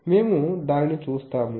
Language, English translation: Telugu, So, we will see them